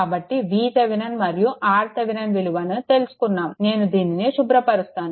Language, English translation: Telugu, So, after getting V Thevenin and R Thevenin, let me clear it